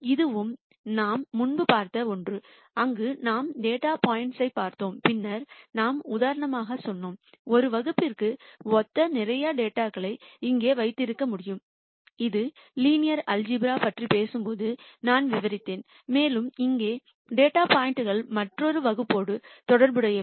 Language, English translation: Tamil, This is also something that we had seen before, where we looked at data points and then we said for example, I could have lots of data here corresponding to one class this I described when we are talking about linear algebra and I could have lot of data points here corresponding to another class